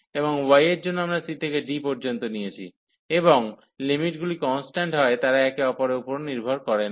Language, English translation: Bengali, And in the direction of y we are wearing from c to d and the limits are constant they are not depending on each other